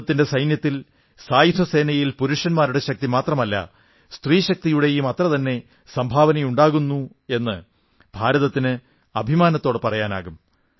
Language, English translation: Malayalam, Indian can proudly claim that in the armed forces,our Army not only manpower but womanpower too is contributing equally